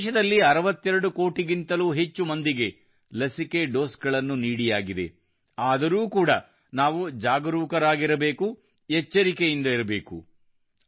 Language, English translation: Kannada, More than 62 crore vaccine doses have been administered in the country, but still we have to be careful, be vigilant